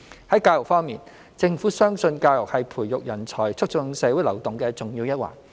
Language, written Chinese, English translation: Cantonese, 在教育方面，政府相信教育是培育人才、促進社會流動的重要一環。, In respect of education the Government holds that education plays a key role in nurturing talent and promoting social mobility